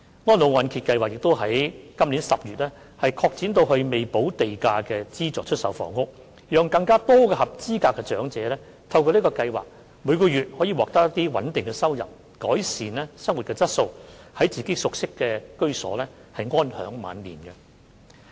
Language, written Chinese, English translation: Cantonese, 安老按揭計劃於本年10月擴展至未補地價的資助出售房屋，讓更多合資格的長者透過該計劃，每月獲得穩定收入，改善生活質素，在自己熟悉的居所安享晚年。, In October this year the Reverse Mortgage Programme was extended to subsidized sale flats with unpaid land premium so that more eligible elderly people are able to through the programme receive stable incomes every month to improve their quality of life and lead a comfortable life in their twilight years in the residences they are familiar with